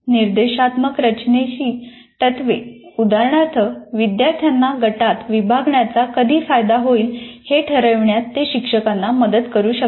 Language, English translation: Marathi, At least the principles of instructional design would give some indications when it would benefit students to be put into groups